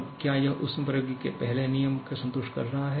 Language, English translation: Hindi, Now, is it satisfying the first law of thermodynamics